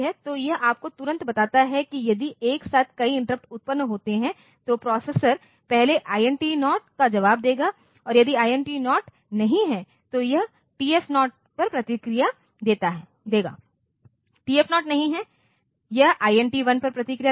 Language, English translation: Hindi, So, this immediately tells you that if a number of interrupts occur simultaneously, then the processor will first respond to INT 0 and if INT 0 is not there, it will respond to TF0, TF0 is not there it will respond to INT1